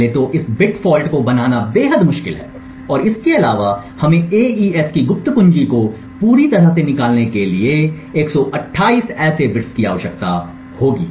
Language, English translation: Hindi, Now 1st of all creating this bit fault is extremely difficult and furthermore we would require 128 such bit falls to completely extract the secret key of AES